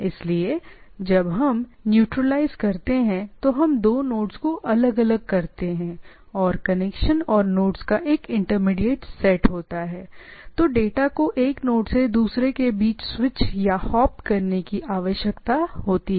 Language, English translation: Hindi, So, that is when we natural that if I have two nodes far apart and intermediate set of connection and nodes, so the data need to be switched or hopped between one node to another